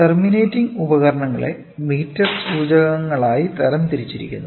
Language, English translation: Malayalam, So, the terminating devices are it is they are classified into meter indicators